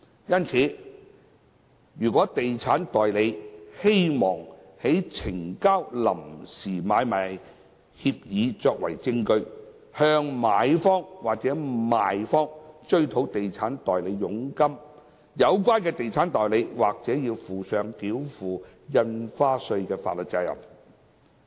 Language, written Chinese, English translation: Cantonese, 因此，如果地產代理希望呈交臨時買賣協議作為證據，向買方或賣方追討地產代理佣金，有關地產代理或須負上繳付印花稅的法律責任。, Therefore if an estate agent wishes to recover agent commission from the buyer or seller by submitting a provisional agreement for sale and purchase as evidence the agent may be liable for the payment of stamp duty